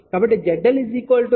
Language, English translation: Telugu, So, Z L 0